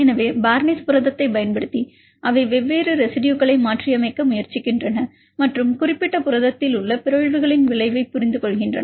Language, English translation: Tamil, So, using the barnase protein, they try to mutate different residues and understand the effect of mutations in the particular protein